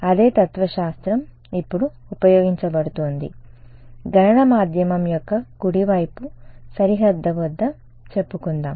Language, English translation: Telugu, The same philosophy is going to be used now, let us say at a right hand side boundary of computational medium